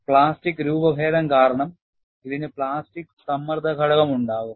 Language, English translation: Malayalam, Because of plastic deformation, it will have plastic strain component